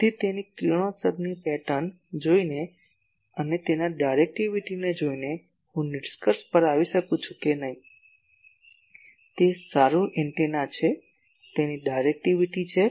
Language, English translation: Gujarati, So, by looking at it is radiation pattern and looking at is directivity, I may conclude that no no it is an antenna, it has a directivity